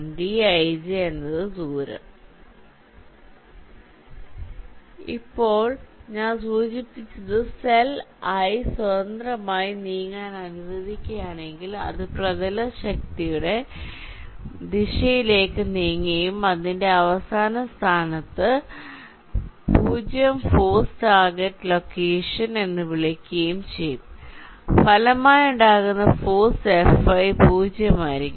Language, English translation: Malayalam, now what i have just mentioned: if the cell i is allow to move freely, so it will be moving towards the direction of the dominant force and in its final position, which is sometime called the zero force target location, the resultant force, f